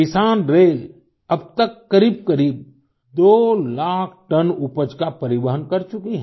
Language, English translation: Hindi, The Kisan Rail has so far transported nearly 2 lakh tonnes of produce